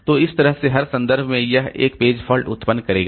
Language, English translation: Hindi, So, that way every reference it will be generating one page fault